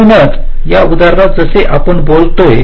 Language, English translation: Marathi, so like in this example, if you look at